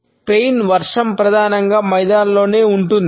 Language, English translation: Telugu, The rain in Spain stays mainly in the plane